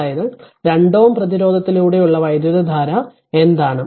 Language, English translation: Malayalam, That means what is the current through 2 ohm resistance